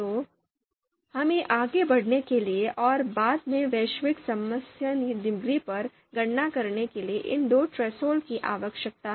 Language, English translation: Hindi, So we need these two thresholds so that we can move ahead and compute the partial concordance degrees and later on global concordance degree